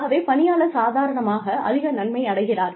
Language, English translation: Tamil, So, the employee himself or herself, has benefited the most